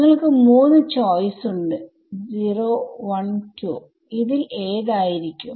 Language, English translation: Malayalam, You have three choices 0 1 2 which of those is going to be